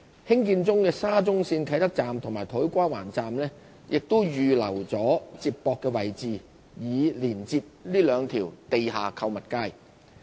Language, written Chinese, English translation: Cantonese, 興建中的沙中線啟德站與土瓜灣站亦已預留接駁位置，以連接這兩條地下購物街。, We have already reserved connection points at these two MTR stations currently under construction for connecting with the underground shopping streets